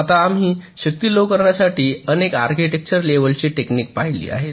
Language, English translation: Marathi, now, ah, we have looked a at a number of architecture level techniques for reducing power